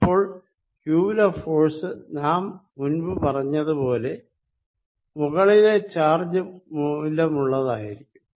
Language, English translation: Malayalam, Now force, as we said earlier on q is going to be force due to upper charge